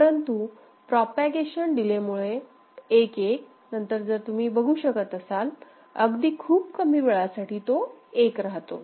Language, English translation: Marathi, But because of the propagation delay all right, after 1 1 1 you can see for a small duration it still remains is remaining at 1 ok